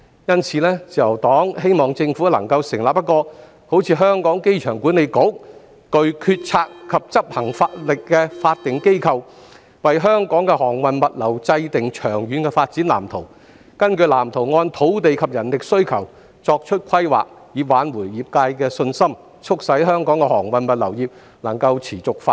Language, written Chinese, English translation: Cantonese, 因此，自由黨希望政府能夠成立一個像香港機場管理局般具決策及執行能力的法定機構，為香港的航運物流制訂長遠的發展藍圖，並根據藍圖按土地及人力需求作出規劃，以挽回業界的信心，促使香港的航運物流業能夠持續發展。, Therefore the Liberal Party hopes that the Government can set up a statutory body similar to the Airport Authority Hong Kong which will be conferred with decision - making and execution powers . It is hoped that by formulating a long - term development blueprint for Hong Kongs shipping and logistics industry and drawing up land and manpower plans according to this blueprint we can restore the confidence of the trade and promote the sustainable development of Hong Kongs shipping and logistics industry